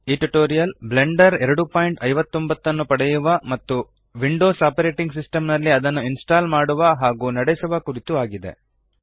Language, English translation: Kannada, These tutorial is about getting blender 2.59 and how to install and run Blender 2.59 on the Windows Operating System